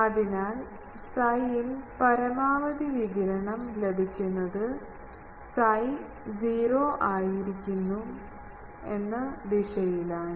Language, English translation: Malayalam, So, to get maximum radiation at psi is equal to 0 direction